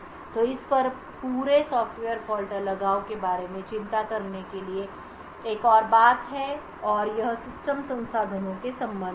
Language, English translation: Hindi, So there is another thing to a worry about in this entire Software Fault Isolation and that is with respect to system resources